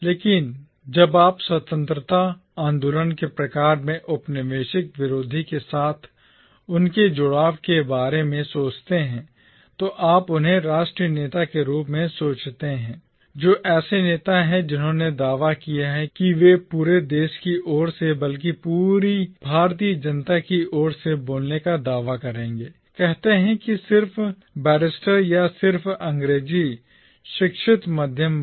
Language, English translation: Hindi, But, when you think about their engagement with the anti colonial, in sort of Independence movement, you think of them as national leaders, as leaders who claimed to speak on behalf of the entire nation, the entire Indian population, rather than on behalf of, say, just the barristers or just the English educated middle class